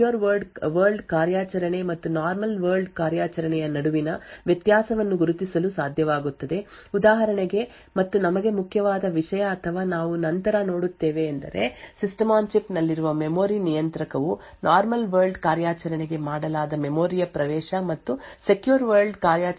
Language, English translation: Kannada, So thus other components would also be able to distinguish between a secure world operation and a normal world operation so for example and important thing for us or we will see later is that memory controller present in the System on Chip would be able to distinguish between memory access which is made to a normal world operation and a memory access made to a secure world operation